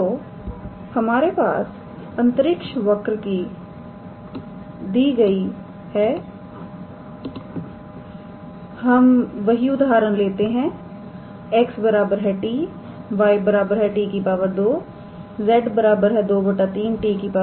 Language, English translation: Hindi, So, given a space curve we take the same example x equals to t, y equals to t square and z equals to 2 by 3, t cube